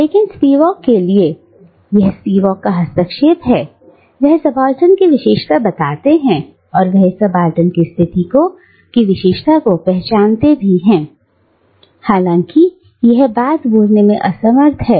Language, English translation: Hindi, But, for Spivak, and this is Spivak's intervention, she characterises subaltern, or she identifies the characterising feature of this subaltern position as that of being unable to speak